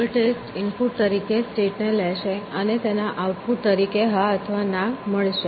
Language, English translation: Gujarati, So, goal test will take a state as an input and output either yes or no